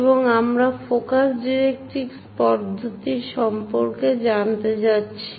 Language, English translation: Bengali, And we are going to learn about focus directrix method